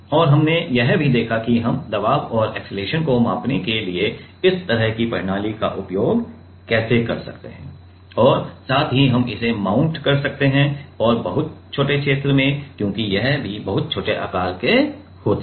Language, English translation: Hindi, And, we have also like seen how we can use this kind of system for measuring pressure and acceleration and also we can we can mount it and in very small area because, these are also very small sizes right